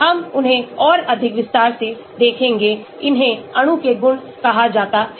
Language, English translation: Hindi, we will look at them more in detail, these are called the properties of the molecule